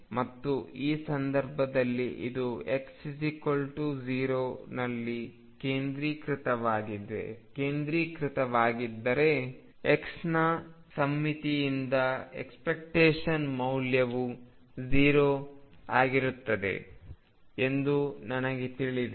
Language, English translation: Kannada, And in this case if this is centered at x equal to 0, I know the expectation value from symmetry of x is going to be 0